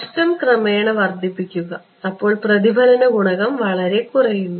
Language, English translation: Malayalam, Increase the loss gradually the reflection coefficient is greatly reduced ok